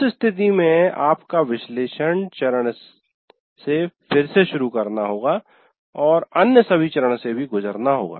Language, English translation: Hindi, In that case you have to start all over again from analysis phase and go through all the other phases as well